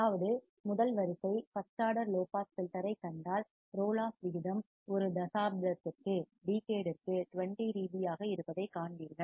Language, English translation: Tamil, That means, if you see the first order low pass filter, you will see that the roll off rate was 20 dB per decade